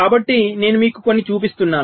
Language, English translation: Telugu, so i have, i am showing you a few